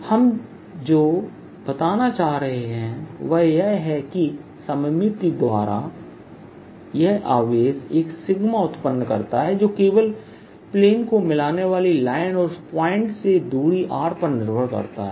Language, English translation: Hindi, what we are going to say is that by symmetry, this charge produces a sigma which depends only on r from the line joining the plane